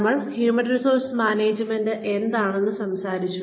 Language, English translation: Malayalam, We talked about, what human resources is